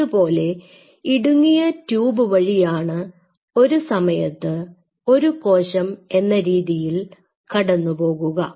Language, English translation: Malayalam, So, I have something like this a very narrow tube through which only one cell at a time can flow